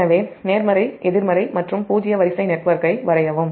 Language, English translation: Tamil, so draw the positive, negative and zero sequence network positive